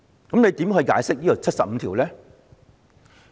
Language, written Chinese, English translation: Cantonese, 主席，你如何解釋第七十五條呢？, President how will you interpret Article 75?